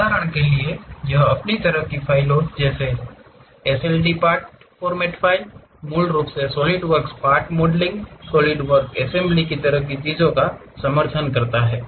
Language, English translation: Hindi, For example it supports its own kind of files like SLDPRT format, basically Solidworks Part modeling, solid work assembly kind of things and so on